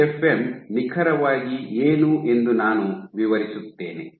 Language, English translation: Kannada, So, let me explain what exactly is TFM